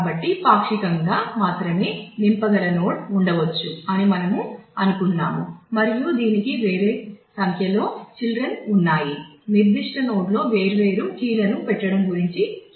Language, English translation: Telugu, So, we said that there could be a node which can be only partially filled and it has a different number of children pointing to the; conditions of how different keys are ordered in that particular node